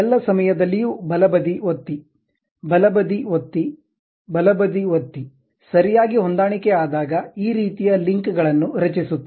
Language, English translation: Kannada, So, all the time left click, left click, left click, properly adjusting that has created this kind of links